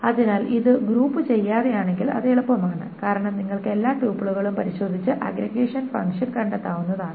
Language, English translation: Malayalam, So if it is without grouping then it is easier because then you just need to go over all the tuples and just find the integration function